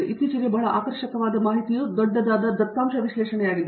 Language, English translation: Kannada, And, recently a very catchy what is coming up is large data analysis